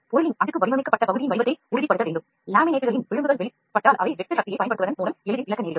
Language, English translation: Tamil, The layer of the material must confirm to the shape of the part being designed, if edges of the laminates are exposed then they can easily come lose by applying shear force